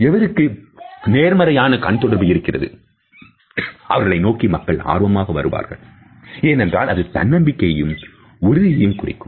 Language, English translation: Tamil, People are automatically drawn towards people who have a positive eye contact because it conveys self assurance and confidence